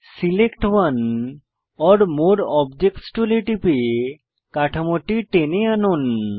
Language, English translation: Bengali, Click on Select one or more objects tool and drag the structures